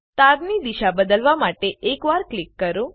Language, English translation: Gujarati, Click once to change direction of wire